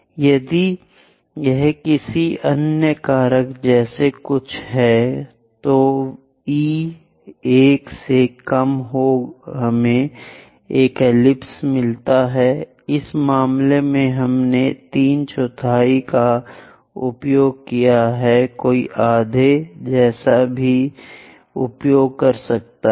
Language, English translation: Hindi, If it is something like another factor any e less than 1 we get an ellipse, in this case, we have used three fourth; one can also use something like half